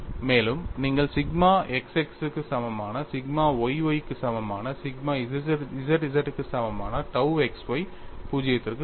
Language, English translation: Tamil, And you find sigma xx equal to sigma yy equal to sigma zz equal to tau xy equal to 0 all these stress components go to 0